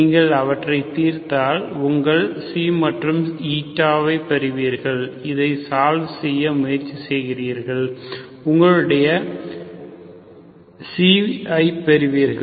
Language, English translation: Tamil, If you solve them, you get your xi and Eta, so you can get, you just try to solve this, you get your xi